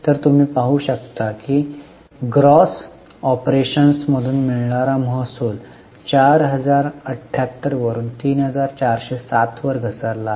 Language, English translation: Marathi, So, you can see that the revenue from operations gross has fallen from 4078 to 3407